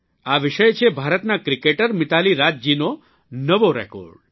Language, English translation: Gujarati, This subject is the new record of Indian cricketer MitaaliRaaj